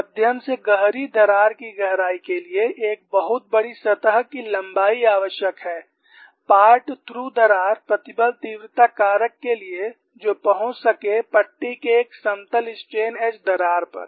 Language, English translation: Hindi, For moderate to deep crack depths, a very large surface length is necessary for the part through crack stress intensity factor approach that of the plane strain edge crack in a strip